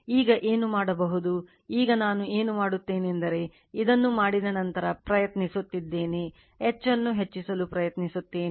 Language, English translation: Kannada, Now, what you can do is now what else I am do is that you are you are trying after making this, we are trying to increase the H right